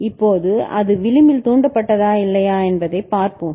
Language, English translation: Tamil, Now whether it is edge triggered or not, let us see